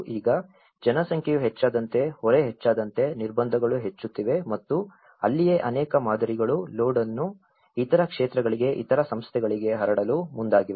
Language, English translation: Kannada, So now, as the population have increased as the constraints have increased as the load has increased and that is where many of the models have approached on spreading the load to the other sectors the other bodies